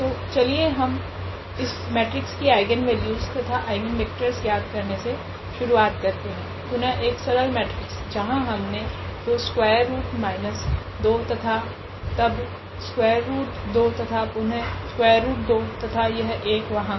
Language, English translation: Hindi, So, let us start with this problem here find eigenvalues and eigenvectors of this matrix, again a very simple matrix we have taken 2 square root minus 2 and then square root 2 and again here square root 2 and this one there